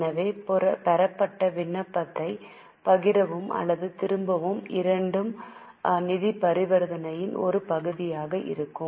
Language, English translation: Tamil, So, share application money received or returned, both will be also part of financing transaction